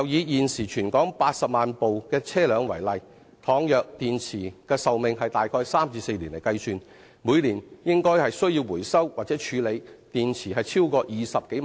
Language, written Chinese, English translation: Cantonese, 現時，全港約有80萬輛汽車，以電池的壽命大約為3年至4年計算，每年應該需要回收或處理的電池超過20萬枚。, At present there are about 800 000 vehicles throughout the territory . Given a battery lifespan of three to four years there should be more than 200 000 batteries to be recycled or disposed of each year